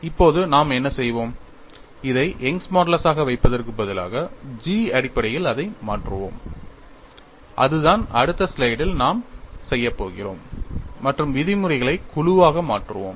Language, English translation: Tamil, Now, what we will do is, instead of keeping this as Young's modulus, we will replace it terms of g that is what we are going to do it the next slide and group the terms